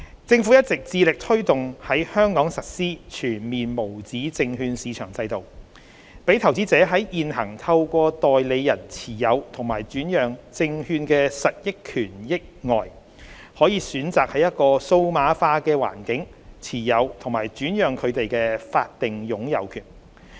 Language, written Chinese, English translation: Cantonese, 政府一直致力推動在香港實施全面無紙證券市場制度，讓投資者在現行透過代理人持有及轉讓證券的實益權益外，可選擇在一個數碼化的環境持有及轉讓證券的法定擁有權。, The Government strives to push forward the full implementation of the USM regime in Hong Kong so that investors can choose a digitalized environment for the holding and transfer of legal title to securities in addition to the current practice of holding and transferring the beneficial interest in securities through a nominee